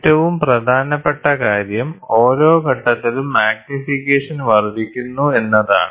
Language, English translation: Malayalam, So, the most important thing is magnification at each stage gets multiplied